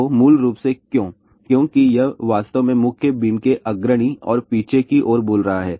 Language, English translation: Hindi, So, basically why because this is actually speaking leading and trailing edge of the main beam